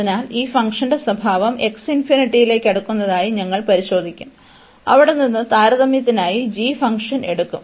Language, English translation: Malayalam, So, we will check the behavior of this function as x approaching to infinity, and from there we will take the function g for the comparison